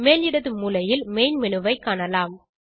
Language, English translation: Tamil, You can see the main menu on the top left hand side corner